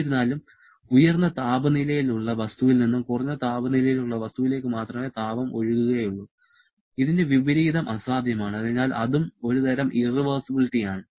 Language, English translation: Malayalam, However, as heat can flow only from high temperature body to a low temperature body and the reverse is impossible therefore that is also a kind of irreversibility